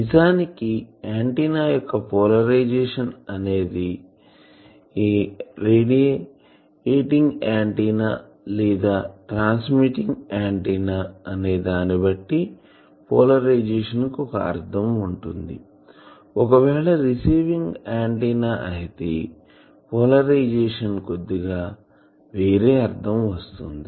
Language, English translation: Telugu, Now polarisation is actually in antenna if it is a radiating antenna or transmitting antenna, polarisation has one meaning, if it is a receiving antenna polarisation has a slightly different meaning